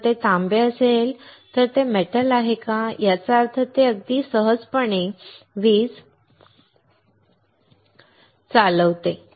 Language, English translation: Marathi, If it is copper, then it is a metal; that means, it will conduct electricity very easily